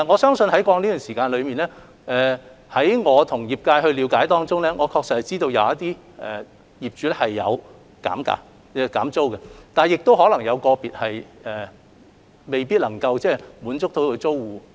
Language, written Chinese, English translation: Cantonese, 在過去一段時間向業界所作的了解中，我知道確有業主曾經減租，但亦有個別業主可能未必能在這方面滿足租戶的要求。, According to what I have learned from trade members over the past period of time rent reduction has indeed been granted by some landlords but certain individual landlords might not be able to meet the request of their tenants in this respect